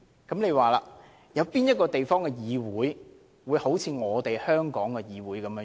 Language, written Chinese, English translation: Cantonese, 請問有哪個地方的議會像香港的議會這樣？, Where on earth can we find another legislature that is like the Legislative Council of Hong Kong?